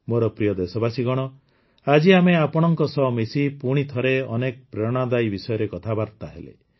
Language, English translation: Odia, My dear countrymen, today you and I joined together and once again talked about many inspirational topics